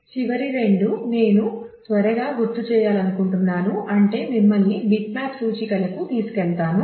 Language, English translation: Telugu, The last two that I would like to just quickly remind I mean take you through is what is known as bitmap indexes